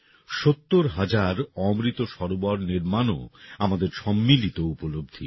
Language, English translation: Bengali, Construction of 70 thousand Amrit Sarovars is also our collective achievement